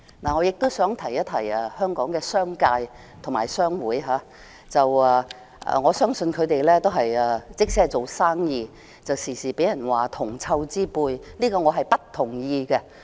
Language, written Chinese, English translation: Cantonese, 我亦想提醒香港的商界和商會，我相信他們即使只是做生意，但經常也會被人說是銅臭之輩，對此我不同意。, I also have a word of reminder for the business sector and trade associations in Hong Kong . I do not agree to the adverse comment that businessmen are mean and put profits before everything else